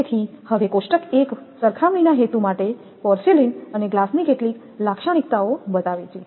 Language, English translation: Gujarati, So, now table 1 shows the some characteristic of porcelain and glass for the purpose of comparison